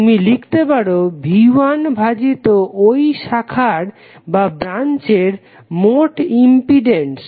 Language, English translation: Bengali, You can write V 1 divided by the impedance of the complete branch